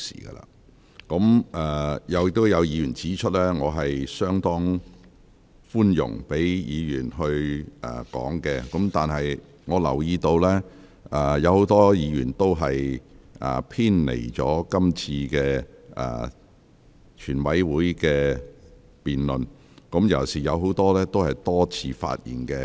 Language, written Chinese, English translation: Cantonese, 有委員已指出，我已相當寬容，盡量讓委員發言，但我留意到，很多委員的發言內容偏離了辯論議題，而不少委員已多次發言。, As pointed out by some Members I have adopted a rather tolerant approach by allowing Members to speak as far as possible . Yet I notice that many Members have deviated from the question under debate when they speak and a number of Members have spoken for multiple times